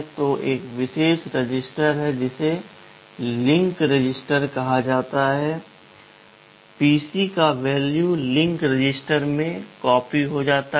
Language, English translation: Hindi, So, there is a special register called the link register, the value of the PC gets copied into the link register